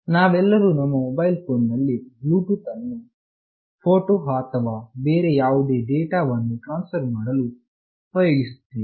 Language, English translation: Kannada, Next I will talk about Bluetooth; we all might have used Bluetooth in our mobile phones for transferring photos or any other data